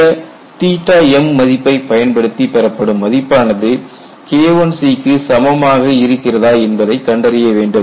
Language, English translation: Tamil, So, use that theta m and find out whether this quantity is equal to K1 c or not